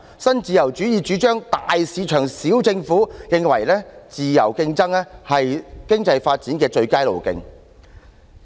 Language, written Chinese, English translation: Cantonese, 新自由主義主張"大市場，小政府"，認為自由競爭是經濟發展的最佳路徑。, Neoliberalism advocates big market small government and believes that free competition is the best pathway to economic development